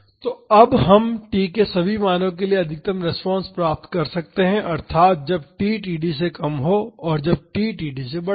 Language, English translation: Hindi, So, now we can find the maximum response for all the values of t, that is when t is less than td and when is when t is greater than td